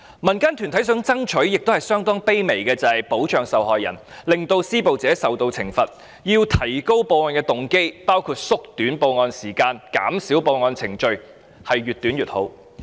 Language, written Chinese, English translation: Cantonese, 民間團體希望爭取的要求相當卑微，就是必須保障受害人，令施暴者受到懲罰，故此，必須提高報案動機，包括縮短報案時間、減少報案程序，時間越短越好。, The requests made by community groups are very humble . They just wish to ensure protection for sexual violence victims and imposition of penalty on sexual abusers . Hence efforts have to be made to give victims greater motivation to report sexual violence cases including reducing the time needed for reporting such cases and streamlining the reporting procedures the shorter the reporting time the better